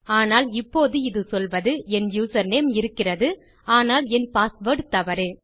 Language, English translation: Tamil, But here, it is saying that my username does exist but my password is wrong